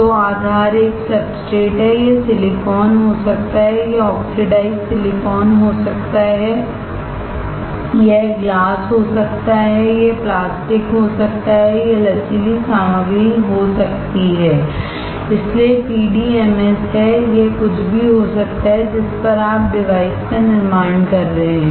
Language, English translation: Hindi, So, the base is a substrate, it can be silicon, it can be oxidized silicon, it can be glass, it can be plastic, it can be flexible material, so there is PDMS, it can be anything on which you are fabricating the device